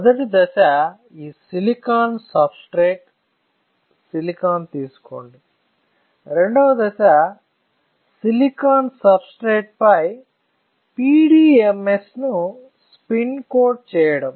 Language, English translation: Telugu, The first step is you take this silicon substrate, silicon; the second step is to spin coat PDMS on a silicon substrate